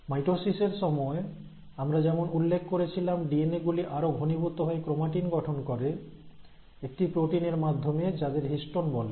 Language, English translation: Bengali, As I had mentioned during my mitosis video, the DNA normally condenses itself into chromatin with the help of proteins which we call as histones